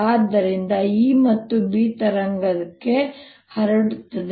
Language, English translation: Kannada, so a and b propagate like a wave